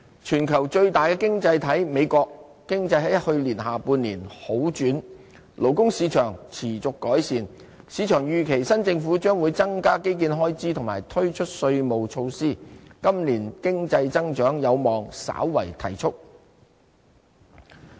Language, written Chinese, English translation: Cantonese, 全球最大的經濟體美國，其經濟在去年下半年好轉，勞工市場持續改善，市場預期新政府將會增加基建開支和推出稅務措施，今年經濟增長有望稍為提速。, The economic situation in the United States the largest economy in the world improved in the latter part of last year and labour market continued to recover . The market predicts that the new government will increase infrastructural expenditure and introduce taxation measures . Economic growth is expected to moderately gather pace this year